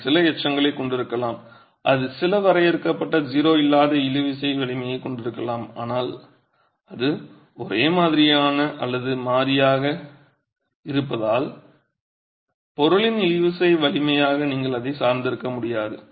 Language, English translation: Tamil, It might have some residual, it might have some finite non zero tensile strength, but it is so non uniform variable that you can't depend on it as a tensile strength of the material